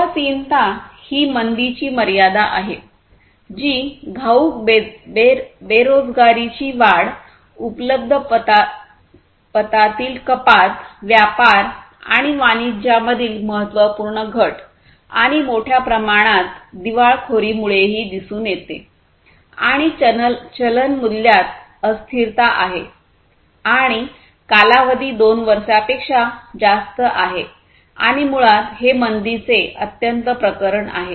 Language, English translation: Marathi, Depression is the extremity of recession, which is observed by exponential unemployment increase, reduction in available credit, significant reduction in trade and commerce and huge number of bankruptcies might also consequently happen and there is volatility in currency value and the duration is more than two years and this is basically the extreme case of recession